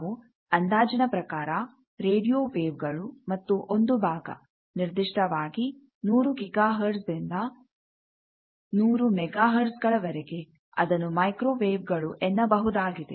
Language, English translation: Kannada, We roughly call radio waves and a part of that particularly you can say 100 hertz, 100 gigahertz to roughly 100 megahertz that is called microwaves